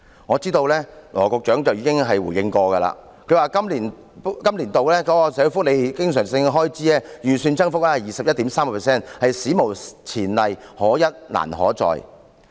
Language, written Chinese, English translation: Cantonese, 我知道羅局長已經回應過，他曾指出本年度社會福利經常性開支預算增幅達 21.3%， 是史無前例，可一難可再。, I know that Dr LAW has already responded . He points out that this years recurrent expenditure budgeted for social welfare has increased by 21.3 % which is unprecedented and difficult to repeat